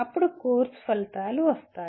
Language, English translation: Telugu, Then come the course outcomes